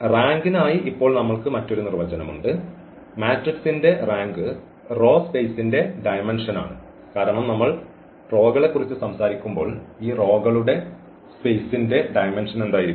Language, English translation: Malayalam, And the another definition which we have now for the rank, the rank of the matrix is the dimension of the row space because when we are talking about the rows for instance, so what will be the dimension of these rows space